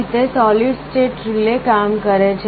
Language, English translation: Gujarati, This is how solid state relay works